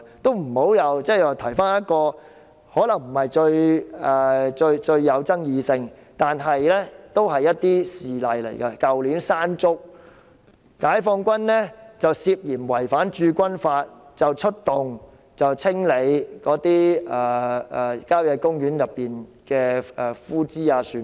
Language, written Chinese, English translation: Cantonese, 就此，我想提一個可能不是最具爭議性的一宗事例：去年山竹襲港時，解放軍涉嫌違反《駐軍法》，出動清理郊野公園內的枯枝、樹木等。, In this connection I would like to raise a least controversial instance last year when Hong Kong was hit by Mangkhut the Peoples Liberation Army went to clear the withered branches trees and so on in country parks in an alleged breach of the Garrison Law